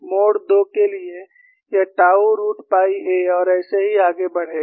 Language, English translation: Hindi, For mode 2 it is tau root pi A and so on